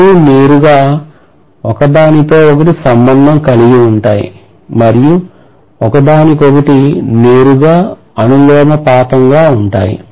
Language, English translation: Telugu, The two are directly related to each other, directly proportional to each other, we are assuming that